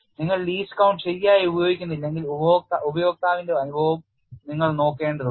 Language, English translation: Malayalam, If you do not use the least count properly, you will also have to look at the experience of the looser